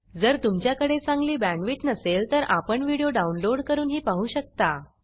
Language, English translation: Marathi, If you do not have good bandwidth, you can download and watch the videos